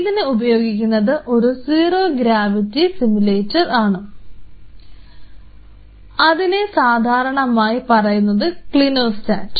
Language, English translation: Malayalam, Using zero gravity simulator, which the simplest of all is called a Clinostat